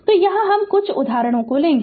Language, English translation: Hindi, So, we will take some example